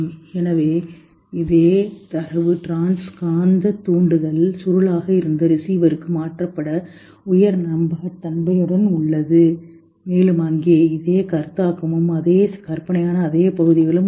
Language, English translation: Tamil, So this same data is with the high fidelity transferred to the receiver through the trans magnetic stimulation coil and there is a conscious perception here or same imagery, same areas